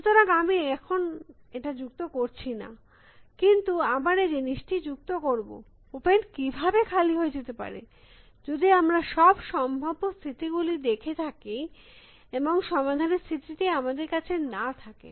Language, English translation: Bengali, So, I am not adding it right now, but we will add it this thing, how can open become empty, if we have seen all possible states and the solution state is not available to you